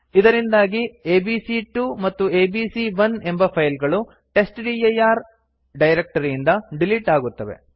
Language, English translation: Kannada, This remove the files abc1 and abc2 from testdir directory